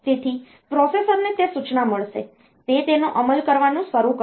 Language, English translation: Gujarati, So, the processor will get that instruction, it will start executing it